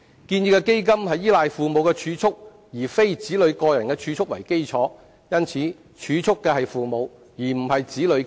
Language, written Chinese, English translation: Cantonese, 建議的基金是依賴父母儲蓄而非子女個人儲蓄為基礎，故儲蓄的是父母，而非子女本人。, The basis of the proposed fund is savings by parents instead of children so the ones who make such savings are parents not children themselves